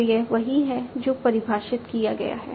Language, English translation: Hindi, So, that is what is defined